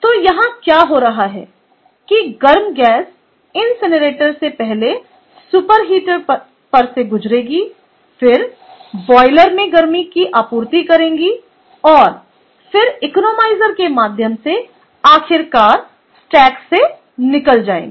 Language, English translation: Hindi, the incinerator, the hot gases are flowing over sorry, i did not close this first, flowing over the super heater, then through the boiler supplying heat, and then through the economizer and finally escapes to the stack